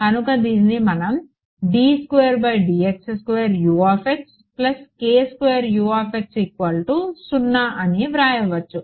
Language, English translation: Telugu, So, from here what can we write